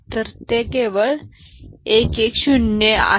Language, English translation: Marathi, So, this is 1 1 0 1 only